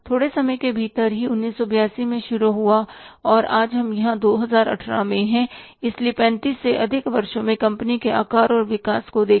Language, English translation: Hindi, Within a short span of time started in 1982 and today we are here in 2018 so how much it is say somewhere than 35 years